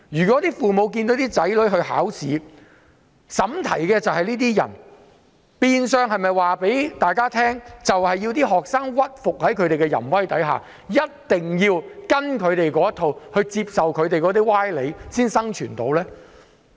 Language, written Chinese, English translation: Cantonese, 當父母看見為其子女的考試出題的是這種人，是否意味着學生要屈服於他們的淫威，依照他們的想法答題和接受他們的歪理才能生存呢？, When parents of students find that the examination papers of their children are set by people like this does it mean that their children have to succumb to the abuses of these people by answering examination questions following their lines of thought and accept their fallacies in order to survive?